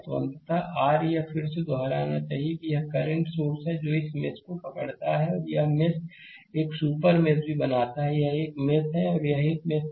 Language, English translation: Hindi, So, ultimately your this is I should repeat again, this is a current source between this mesh and this mesh creating a super mesh also, this is another mesh, this is another mesh